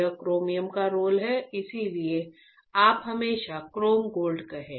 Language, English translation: Hindi, That is a roll of chromium that that is why you always be say chrome gold